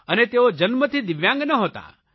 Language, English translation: Gujarati, And, he was not born a DIVYANG